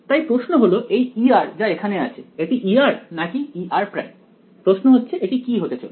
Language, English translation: Bengali, So, the question is this E r over here is it E r or E r prime is that a question it is going to be